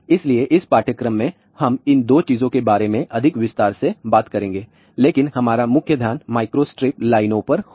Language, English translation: Hindi, So, in this course we will talk more in more detail about these 2 things, but our main focus will be on microstrip lines